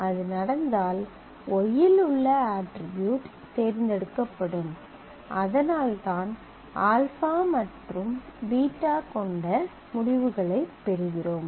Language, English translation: Tamil, If that happens then the attributes on y the tuples would be chosen and that is how we get the result having alpha and beta